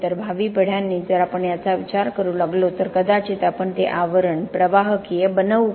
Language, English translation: Marathi, So, so future generations, if we start thinking about it, then do we make that sheath conductive perhaps